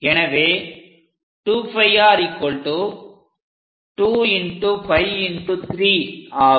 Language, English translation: Tamil, So, 2 pi r length 2 into 3